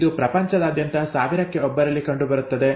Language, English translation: Kannada, It occurs in about 1 in 1000 births across the world